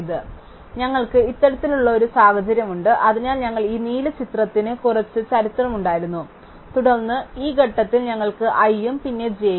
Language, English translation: Malayalam, So, we have this kind of situation, so we had some history this blue history and then at this point we had i and then j